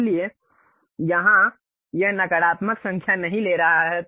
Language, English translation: Hindi, So, here it is not taking a negative number